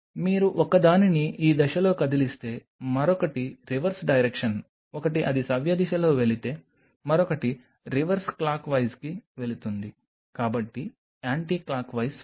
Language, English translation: Telugu, You move one in this direction other one is the reverse direction one if it is one is going clockwise the other one will go to reverse clockwise so, anti clockwise fine